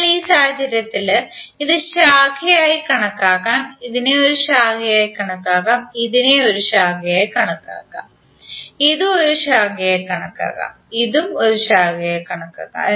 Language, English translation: Malayalam, So in this case this can be consider as branch, this can be consider as a branch, this can be consider as a branch this can also be consider as a branch and this can also be consider as a branch